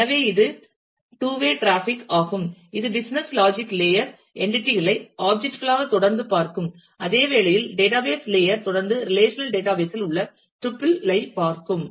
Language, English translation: Tamil, So, it is a two way traffic that will keep on happening where, the business logic layer will continue to see entities as objects whereas, the database layer will continue to see them, as tuple in the relational database